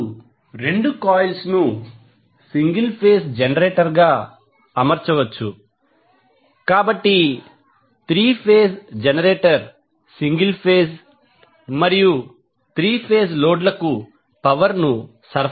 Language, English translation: Telugu, Now since both coils can be arranged as a single phase generator by itself, the 3 phase generator can supply power to both single phase and 3 phase loads